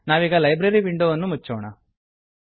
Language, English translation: Kannada, Now, lets close the Library window